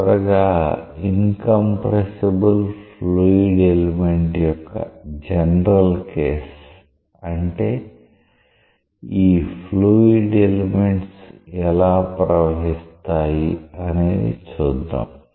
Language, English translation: Telugu, Finally, let us look into a general case of an incompressible fluid element, how these fluid elements flow